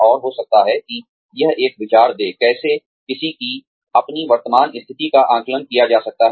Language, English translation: Hindi, And, maybe giving it a thought, as to how, one's own current standing, can be assessed